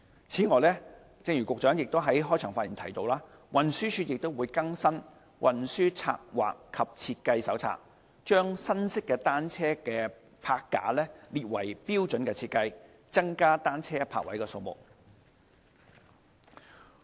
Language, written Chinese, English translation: Cantonese, 此外，正如局長在開場發言提到，運輸署亦已更新《運輸策劃及設計手冊》，將新式單車泊架列為標準設計，增加單車泊位的數目。, Furthermore as mentioned by the Secretary in his opening remarks TD has also updated the Transport Planning and Design Manual to include new bicycle rack designs as standard designs so as to provide more bicycle parking spaces